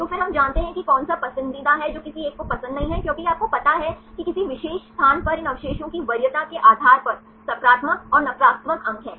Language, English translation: Hindi, So, then we know which one is the preferred one which one is not preferred one because it has you know positives and negatives scores depending upon the preference of these residues at any particular position